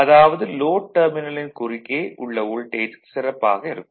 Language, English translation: Tamil, So that means, voltage across the terminal of the load will be better right